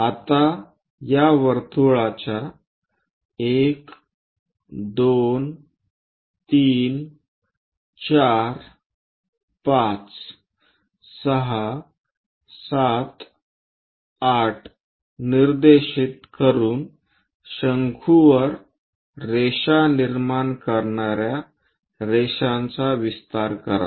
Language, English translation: Marathi, Now from these labels 1, 2, 3, 4, 5, 6, 7, 8 of the circle; extend the lines which are going to generate lines on the cones